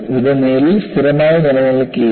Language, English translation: Malayalam, It no longer remains constant